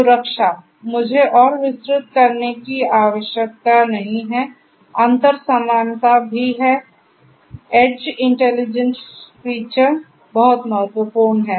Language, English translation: Hindi, Security, I do not need to elaborate further, interoperability also the same, edge intelligence feature is very important